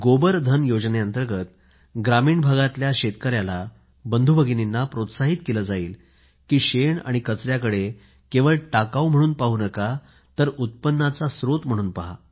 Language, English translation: Marathi, Under the Gobardhan Scheme our farmer brothers & sisters in rural India will be encouraged to consider dung and other waste not just as a waste but as a source of income